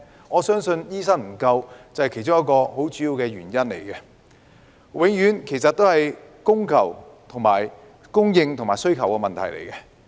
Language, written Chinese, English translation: Cantonese, 我相信醫生不足是其中一個很主要的原因，其實永遠是供應和需求的問題。, I believe that the shortage of doctors is one of the main reasons . In fact it is always a matter of supply and demand